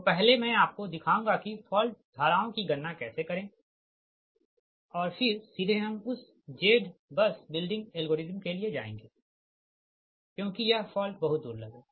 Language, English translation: Hindi, so first i will show you that how to compute for currents, right, and then directly we will go for your what you call that z bus building algorithm, right, and some of the things, because this fault is very rare